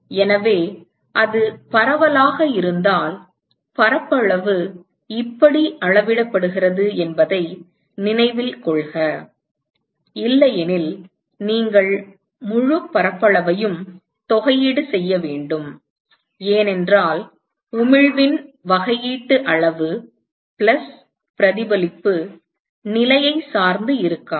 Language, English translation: Tamil, So, note that if it is diffuse then the area scales out like this; otherwise you will have to integrate over the whole area right, because the differential amount of emission plus reflection is not going to be dependent on the position